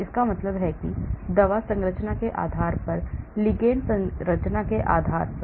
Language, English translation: Hindi, That means based on the drug structure, based on the ligand structure